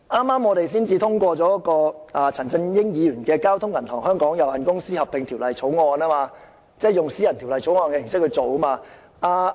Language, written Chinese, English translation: Cantonese, 我們剛才通過了由陳振英議員提出的《交通銀行有限公司條例草案》，就是以私人條例草案的形式處理。, We have just passed the Bank of Communications Hong Kong Limited Merger Bill introduced by Mr CHAN Chun - ying which was handled as a private bill